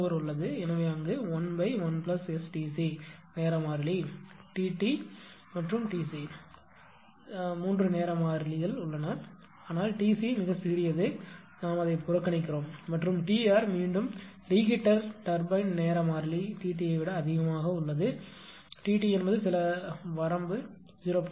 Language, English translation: Tamil, So, there you can make 1 upon 1 plus ST c the 3 time constant T t T r and T c right, the 3 time constant, but T c T c is very small we neglect that and T r the reheat time constant for reheat turbine it is higher than T t, T t is some range is there in between 0